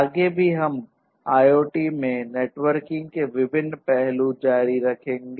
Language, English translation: Hindi, We will continue with the different other aspects of networking in IoT